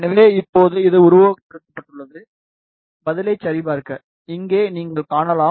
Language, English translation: Tamil, So, now it has been simulated, just to check the response, here you can see